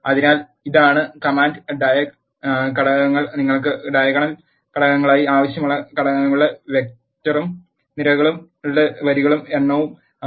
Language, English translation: Malayalam, So, this is the command diag, the elements are vector of elements you want to have as diagonal elements and the rows and number of columns